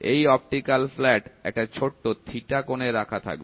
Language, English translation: Bengali, This optical flat of course, will be at an angle